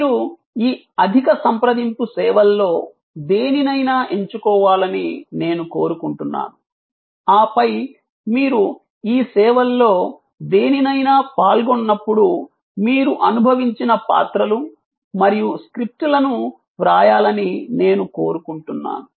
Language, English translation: Telugu, I would like you to choose any one of this high contact services and then, I would like you to write the roles and the scripts, that you have experience when you have participated in any one of this services